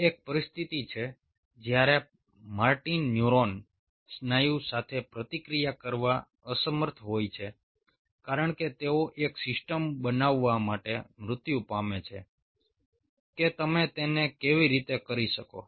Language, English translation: Gujarati, that is, a situation when martin neuron is unable to communicate with the muscle because they die out, to create a system, how you can do it